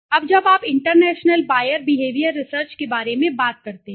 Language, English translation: Hindi, Now when you talk about international buyer behavior research